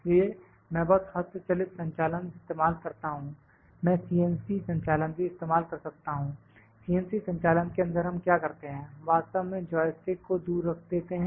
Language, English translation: Hindi, So, I just use the manual operation, I can also use the CNC operation, in CNC operation what we do, what we do actually just put the joystick away